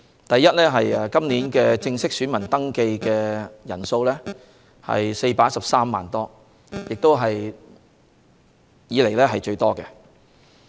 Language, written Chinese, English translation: Cantonese, 第一，今年正式登記選民人數達413多萬，是歷來最多。, First there is a record high of more than 4.13 million officially registered electors this year